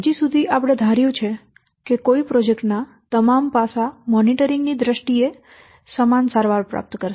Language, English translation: Gujarati, So far we have assumed that all the aspects of a project it will receive equal treatment in terms of degree of monitoring applied